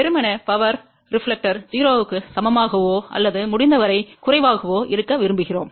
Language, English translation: Tamil, Ideally, we would like power reflector to be equal to 0 or as low as possible